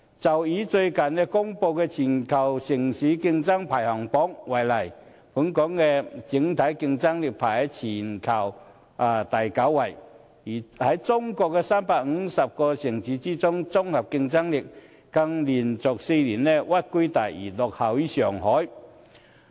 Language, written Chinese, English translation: Cantonese, 就以最近公布的全球城市競爭力排行榜為例，本港的整體競爭力在全球排名第九，在中國358個城市中的綜合競爭力，更連續4年屈居第二，落後於上海。, Take the global city competitiveness ranking announced recently as an example . Hong Kong ranked ninth globally on its overall competitiveness and it ranked second after Shanghai on integrated competitiveness for four consecutive years among the 358 cities in China